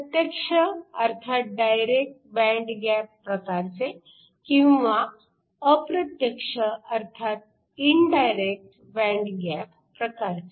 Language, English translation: Marathi, You have your direct band gap and you have your indirect band gap